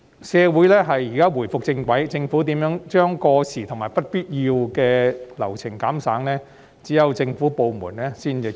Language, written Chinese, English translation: Cantonese, 社會現在重回正軌，一些過時及不必要的流程可如何減省，只有政府部門才知道。, Our society has now got back on track . I think only the government departments know how outdated and unnecessary procedures can be cut